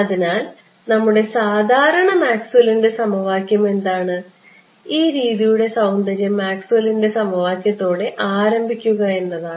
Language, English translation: Malayalam, So, what is our usual Maxwell’s equation again this beauty of this method is to start with starts with Maxwell’s equation